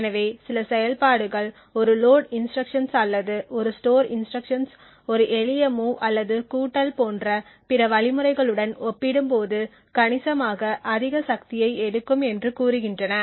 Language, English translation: Tamil, So for example some operations say a load instruction or a store instruction would take considerably more power compared to other instructions such as a simple move or an addition and so on